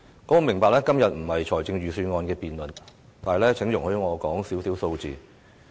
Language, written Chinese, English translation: Cantonese, 我明白今天不是辯論預算案，但請容許我說少許數字。, I understand that todays debate is not a debate on the Budget but please allow me to mention some numbers